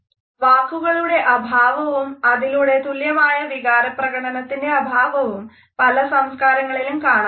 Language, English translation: Malayalam, The absence of words, and thus the absence of emotional expression of those words, is found in many other cultures